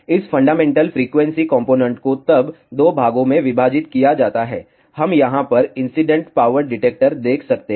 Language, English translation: Hindi, This fundamental frequency component is then divided into 2 parts, we can see incident power detector over here